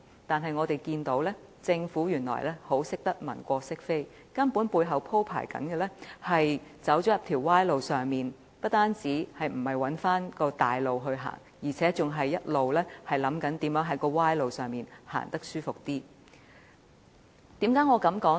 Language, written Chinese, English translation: Cantonese, 但是，政府原來善於文過飾非，背後鋪設的根本是一條歪路，不單沒有設法返回正路，反而一直想辦法在歪路上走得舒服一點。, Nevertheless the Government is good at covering up its faults and has actually prepared to take the wrong path . Instead of returning to the right way it has been seeking ways to walk more comfortably on the wrong path